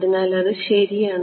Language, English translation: Malayalam, So, its correct